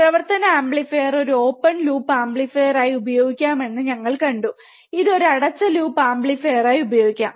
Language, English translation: Malayalam, We have seen operational amplifier can be used as an op open loop amplifier, it can be used as an closed loop amplifier